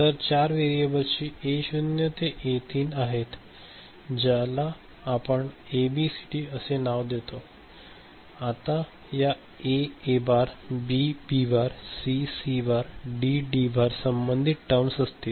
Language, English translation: Marathi, So, four variables are fine that A naught to A3 we name them as ABCD right, and corresponding these terms will be A A bar, B B bar over here, C C bar, D D bar right, this is there right